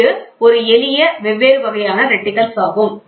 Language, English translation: Tamil, So, this is a simple different types of reticles